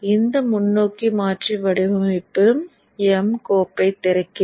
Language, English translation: Tamil, Let me open this forward converter design file